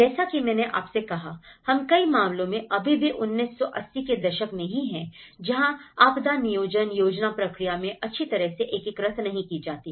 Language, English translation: Hindi, As I said to you, we are still in 1980s in many of the cases, that disaster planning is not well integrated into the planning process